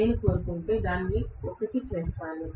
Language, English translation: Telugu, If I want, I make it 1